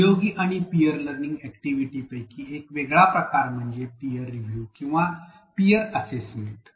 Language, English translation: Marathi, A different type of collaborative and peer learning activity is a peer review or peer assessment